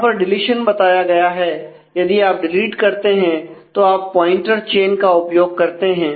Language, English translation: Hindi, So, this is the issues of deletion and if you delete you use pointer chains